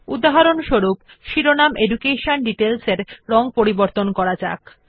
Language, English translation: Bengali, For example, let us color the heading EDUCATION DETAILS